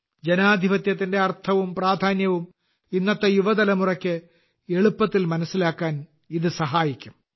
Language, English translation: Malayalam, This will make it easier for today's young generation to understand the meaning and significance of democracy